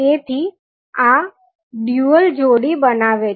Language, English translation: Gujarati, So, these create the dual pairs